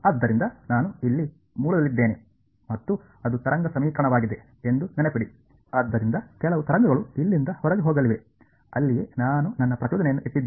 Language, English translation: Kannada, So, remember I am at the origin over here and it is a wave equation, so some wave it is going to go out from here that is where I have put my impulse